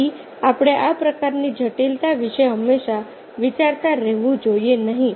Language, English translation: Gujarati, so we should not be all the time thinking about these kinds of complexes